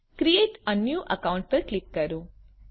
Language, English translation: Gujarati, Click create a new account